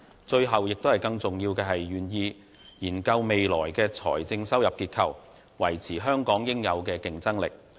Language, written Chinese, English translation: Cantonese, 最後和更重要的是，他願意研究未來的財政收入結構，維持香港應有的競爭力。, Last but not least he is willing to look into the structure of the fiscal revenue to maintain Hong Kongs competitiveness that it should have